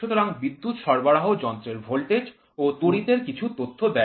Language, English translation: Bengali, So, the power supply gave some data to the machine voltage it gave, current it gave